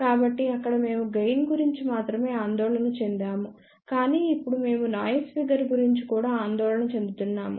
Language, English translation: Telugu, So, there we were only concerned about a gain, but now we are concerned about noise figure also